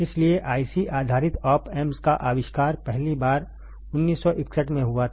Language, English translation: Hindi, So, discreet IC based op amps was first invented in 1961 ok